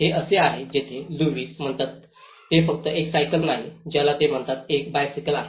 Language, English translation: Marathi, It is where the Lewis calls it is not just a cycle he calls it is a bicycle